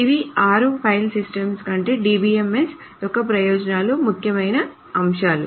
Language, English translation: Telugu, These are the six important points for the advantages of DBMS over the file system